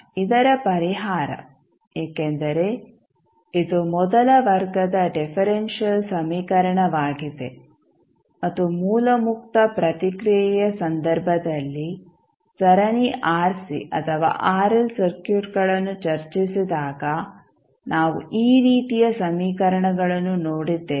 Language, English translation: Kannada, Now, the solution of this because this is a first order differential equation and we have seen these kind of equations when we discussed the series rc or rl circuits in case of source free response